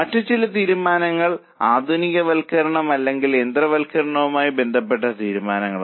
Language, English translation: Malayalam, Some more decisions are modernization or automation decision